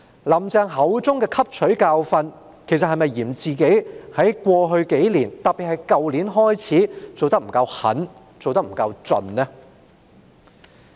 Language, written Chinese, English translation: Cantonese, "林鄭"口中的汲取教訓，其實是否嫌自己在過去數年——特別是去年——做得不夠狠、不夠徹底呢？, By saying that she had learnt a lesson did she actually mean that she blamed herself for not having done ruthlessly and recklessly enough in the past few years especially in last year?